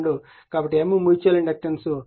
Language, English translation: Telugu, So, M will become mutual inductance will become 0